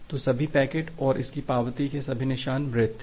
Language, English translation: Hindi, So, all the packets and all the traces of its acknowledgement are dead